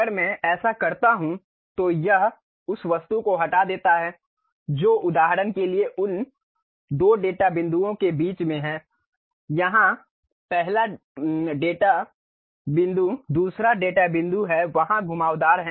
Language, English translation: Hindi, If I just do that it removes that object which is in between those two data points for example, here first data point second data point is there curve is there